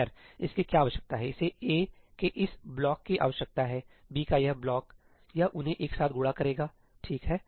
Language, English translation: Hindi, Well, what it needs is it needs this block of A, this block of B, it will multiply them together, right